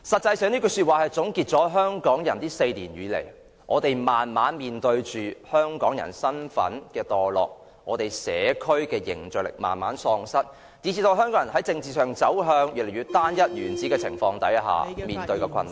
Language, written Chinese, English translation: Cantonese, 這句說話總結了香港人這4年來，慢慢面對着香港人身份墮落，社區凝聚力慢慢喪失，以至香港人在政治上走向越來越單一、原始的情況下所面對的困難。, These words sum up what happened these four years; Hong Kong people were slowly facing the degeneration of their identity as Hong Kong people the gradual loss of cohesion in the community and they encountered difficulties when the political situation became more and more unitary and rudimentary